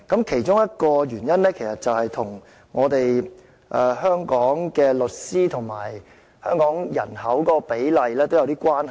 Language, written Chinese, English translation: Cantonese, 其中一個因素其實與香港的律師與人口比例有一點關係。, One of the factors is somewhat related to the ratio of lawyers to population in Hong Kong